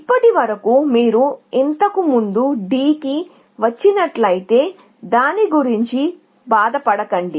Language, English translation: Telugu, So far, we are saying, if you have come to D before, do not bother